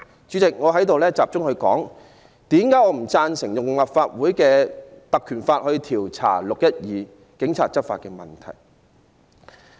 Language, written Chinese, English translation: Cantonese, 主席，以下我集中論述我不贊成根據《立法會條例》調查"六一二"警方執法的原因。, President I will now focus on the reasons why I do not support an inquiry under the Legislative Council Ordinance into the Polices law enforcement operations in the 12 June incident